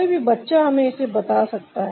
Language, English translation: Hindi, any child will tell us that